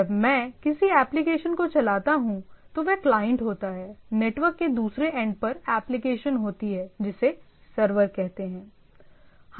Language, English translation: Hindi, So, when I run an application it is a client, to some application at the server, at the other end of the network